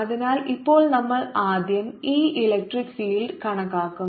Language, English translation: Malayalam, so now we will calculate e electric field first